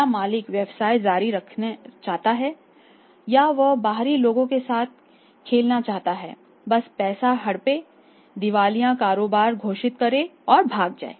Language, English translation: Hindi, Whether the owner want to continue with the business or he wanted to just play with the interest of the outsiders grab the money declare insolvent business and run away